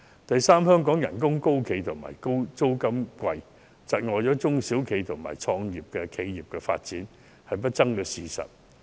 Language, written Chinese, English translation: Cantonese, 第三，香港的工資高企、租金昂貴，窒礙了中小企及初創企業的發展是不爭的事實。, Thirdly it is indisputable that high wages and expensive rents have dragged the development of SMEs and start - up enterprises